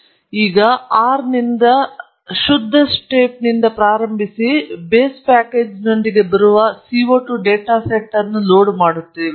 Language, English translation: Kannada, Once again, we start with a clean slate from R and load the CO 2 data set that comes with the base package